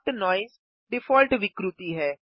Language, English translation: Hindi, Soft noise is the default distortion